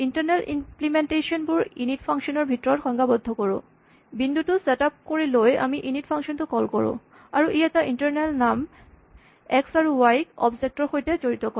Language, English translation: Assamese, The internal implementation is defined inside the init function; this is the function that is called when the point is set up and this associates these internal names x and y with the objects